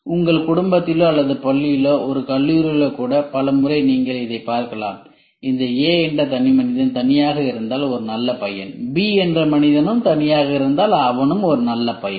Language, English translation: Tamil, Many a times you will see this in your family or in school or in even college they say if this fellow is if A is alone is A good boy, if B is alone is a good boy